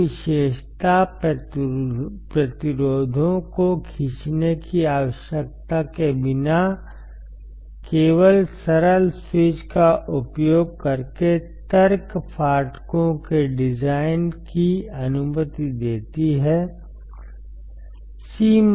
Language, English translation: Hindi, This characteristic allows the design of logic gates using only simple switches without need of pull up resistors, when we do not require pull up resistors